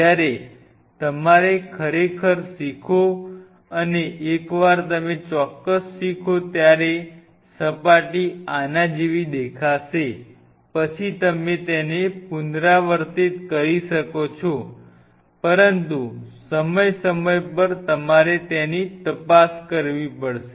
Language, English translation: Gujarati, When you have to really learn and once you exactly learn with that particular composition the surface will look like this then you can repeat it, but time to time you have to cross check